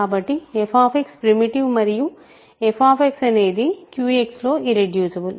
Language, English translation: Telugu, So, f X is primitive and f X is irreducible in Q X right